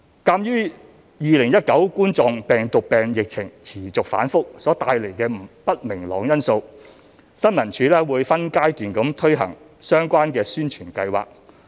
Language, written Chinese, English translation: Cantonese, 鑒於2019冠狀病毒病疫情持續反覆所帶來的不明朗因素，新聞處會分階段推行相關宣傳計劃。, Due to lingering uncertainties brought about by the unstable COVID - 19 situation ISD will take a phased approach for the rollout of its publicity plans